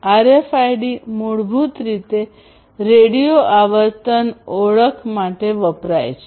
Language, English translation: Gujarati, So, RFID stands basically for radio frequency identification